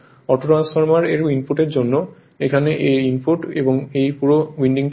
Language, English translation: Bengali, For autotransformerinput I have to see the input; input here this is the whole winding